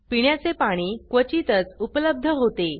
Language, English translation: Marathi, Drinking water was scarcely available